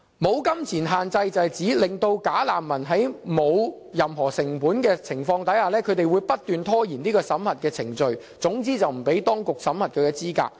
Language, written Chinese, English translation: Cantonese, "無金錢限制"是指，"假難民"在沒有任何成本的情況下，不斷拖延審核程序，總之不讓當局審核其資格。, No money limit refers to the attempts of bogus refugees to endlessly prolong the screening procedures as it costs them nothing to do so . In short they do not want to go through screening